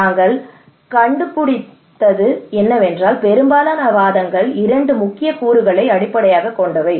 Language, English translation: Tamil, What we found is that the most of the arguments are coming in two pillars or kind of two components two major components